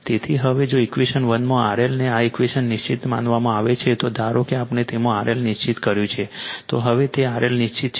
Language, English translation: Gujarati, So, now if R L in equation 1 this equation is held fixed, suppose R L we have fixed in it say R L is held fixed